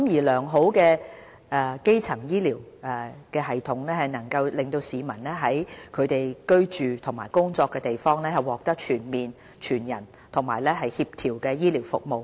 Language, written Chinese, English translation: Cantonese, 良好的基層醫療系統能令市民在其居住和工作的地方獲得全面、全人和協調的醫療服務。, A good primary health care system provides the public with access to better care which is comprehensive holistic coordinated and as close as possible to where people live and work